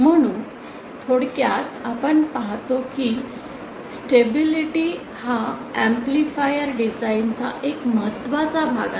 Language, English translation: Marathi, So in summary we that stability is a very important aspect of an amplifier design